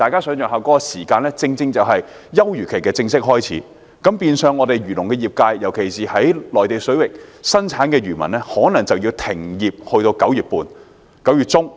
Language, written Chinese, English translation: Cantonese, 這段時間剛好是休漁期的開始，變相漁農業界，特別是在內地水域捕魚的漁民可能要停業至9月中。, In that case the agriculture and fisheries industry especially fishermen who fish in the Mainland waters will have to cease fishing operation until mid - September